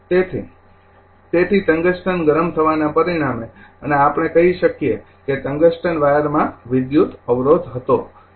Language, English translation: Gujarati, So, therefore, resulting in heating of the tungsten and we can say that tungsten wire had electrical resistance